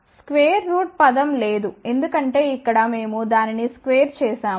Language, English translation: Telugu, Square root term is not there because here we have squared at